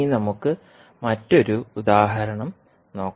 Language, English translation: Malayalam, Now, let us take another example here